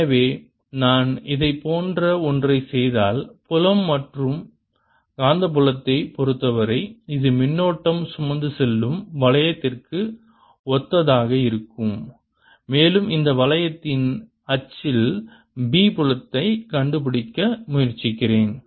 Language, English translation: Tamil, so if i would make a similar thing for field and magnetic field, it will be similar to a current carrying ring and i'm trying to find the b field on the axis of this ring